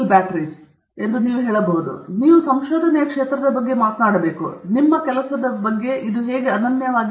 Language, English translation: Kannada, So, you have to talk about the area of research and also what is unique about your work